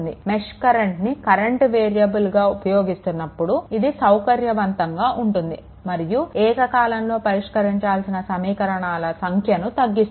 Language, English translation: Telugu, As the circuits variables using mesh current as circuit variables it is convenient and reduces the number of equations that must be solved simultaneously